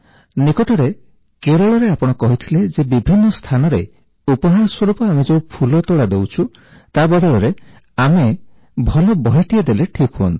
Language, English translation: Odia, Recently in Kerala, we heard you speak about replacing bouquets that we give as gifts, with good books as mementos